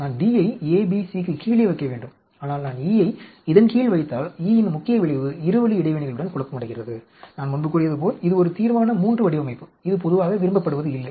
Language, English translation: Tamil, I have put D in A under A, B, C but if I put E under this, the main effect E is confounding with the two way interactions, and this is a Resolution III design as I said before, and this is not generally liked